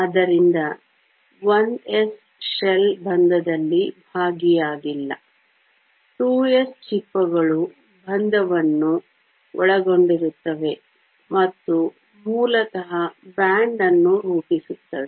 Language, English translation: Kannada, So, 1 s shell is not involved in bonding; the 2 s shells involve in bonding and basically forms a band